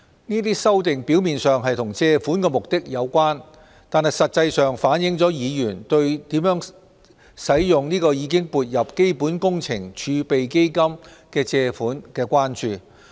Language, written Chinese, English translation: Cantonese, 這些修訂表面上與借款目的有關，但實際上反映了議員對如何使用已撥入基本工程儲備基金的借款的關注。, These amending motions seem to be related to the purposes of borrowings but they actually reflect Members concern on the use of borrowings which have been credited to the Capital Works Reserve Fund CWRF